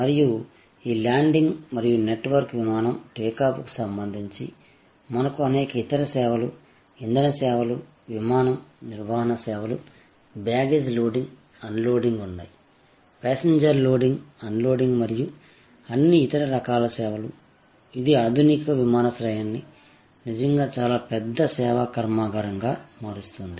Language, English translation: Telugu, And related to this landing and taking off of network, aeroplane, we have number of other services, the fueling services, the maintenance services of the aircraft, the baggage loading, unloading; the passenger loading unloading and all other different kinds of services, which make a modern airport really a very large service factory